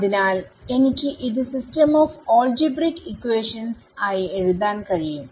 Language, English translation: Malayalam, So, I can write this, I can write this as a system of algebraic equations ok